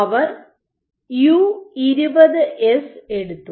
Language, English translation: Malayalam, So, they took U20S